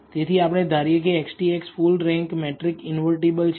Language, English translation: Gujarati, So, we assume that X transpose X is a full rank matrix invertible